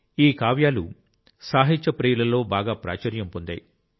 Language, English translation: Telugu, These poems are still very popular among literature lovers